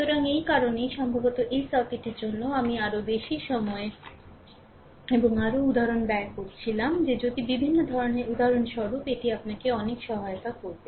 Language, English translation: Bengali, So, that is why for this circuit perhaps I was spending more time and more examples ah such that if varieties of examples such that it will help you a lot, right